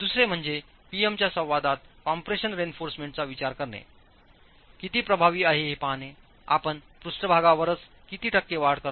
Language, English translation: Marathi, The second would be to look at how effective is consideration of compression reinforcement in the PM interactions, what amount, what's the percentage increase that you get in the surface itself